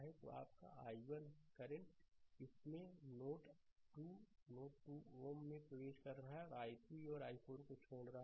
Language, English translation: Hindi, So, this is your i 1; i 1 current is entering right into this into node 2 and i 3 and i 4 are leaving